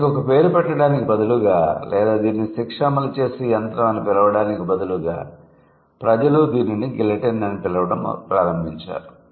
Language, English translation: Telugu, So, instead of giving it a name or calling it an execution machine, people started calling it as as guillotine